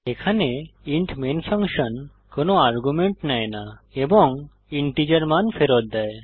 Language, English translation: Bengali, Here the int main function takes no arguments and returns a value of type integer